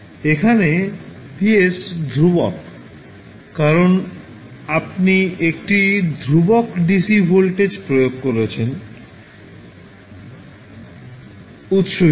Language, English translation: Bengali, So, now here vs is constant because you are applying a constant dc voltage source